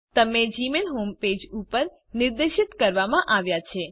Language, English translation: Gujarati, You are directed to the gmail home page